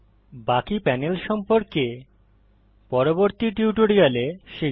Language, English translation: Bengali, The rest of the panels shall be covered in the next tutorial